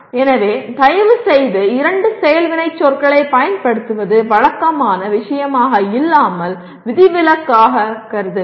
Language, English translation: Tamil, So please treat using of two action verbs as an exception rather than as a matter of routine